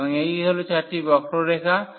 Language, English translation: Bengali, So, these are the 4 curves